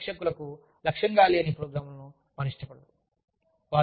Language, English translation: Telugu, They do not like programs, that are not targeted, to specific audiences